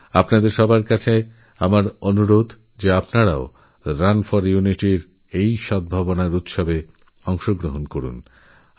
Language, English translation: Bengali, I urge you to participate in Run for Unity, the festival of mutual harmony